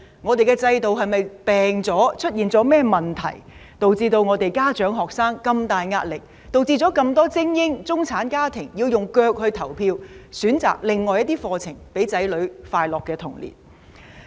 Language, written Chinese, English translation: Cantonese, 我們的制度是否"病"了，出現了甚麼問題，導致家長及學生有這麼大壓力，導致這麼多精英、中產家庭要用腳來投票，選擇另外一些課程，讓子女有快樂的童年？, Is our system ill? . What are the problems causing such great pressure on parents and students? . What makes so many elite and middle - class families vote with their feet and choose alternative programmes for their children so that they can have a happy childhood?